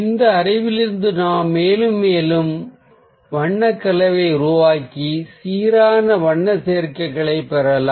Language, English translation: Tamil, so from this knowledge we can keep on creating more and more colour combinations and ah keep on getting balanced colour combinations